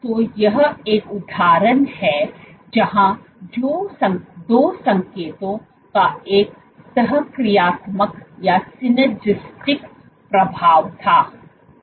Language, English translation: Hindi, So, this is an example where two signals had a synergistic effect